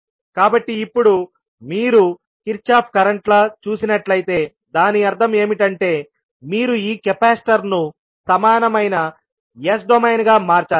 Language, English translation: Telugu, So now when you see Kirchhoff’s current law means you have to convert this capacitor into equivalent s domain